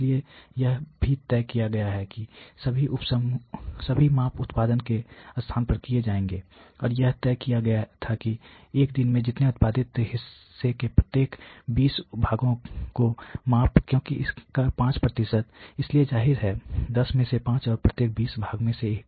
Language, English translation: Hindi, So, it has been also decided that all measurements would be made at a place of production, and it was decided that a day part we measured every 20 parts produced, because its 5%, so obviously, out of 100 5 out of 100 and one in every 20 parts